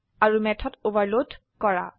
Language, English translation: Assamese, And to overload method